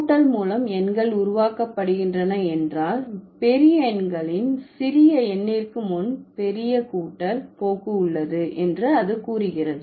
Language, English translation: Tamil, It says, if numerals are formed by addition, there is a tendency for large numbers to have the larger adent precede the smaller, right